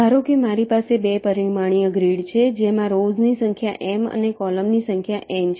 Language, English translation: Gujarati, lets say if there are m number of rows and n number of columns